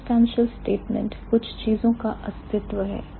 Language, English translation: Hindi, The existential statement is the existence of certain things